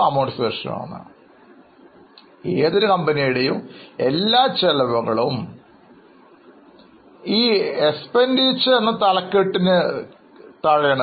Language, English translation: Malayalam, So, all the expenses for any company are to be put under six heads